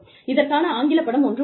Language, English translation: Tamil, There is an English movie